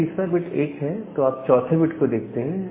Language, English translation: Hindi, If the third bit is 1, then you look into the fourth bit